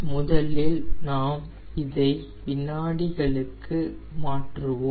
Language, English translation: Tamil, so first we will convert into second